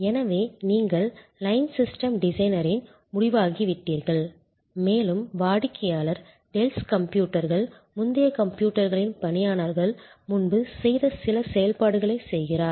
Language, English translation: Tamil, So, you become the end of line system designer and even though the customer therefore, is performing some of the functions earlier performed by employees of Dells computers, earlier computers